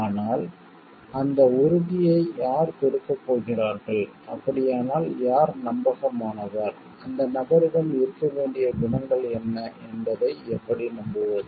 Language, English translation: Tamil, But who is going to give that assurance so who is like who is trustworthy, how can we trust what are the qualities which needs to be present in the person